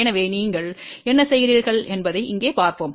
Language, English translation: Tamil, So, let us see here what you do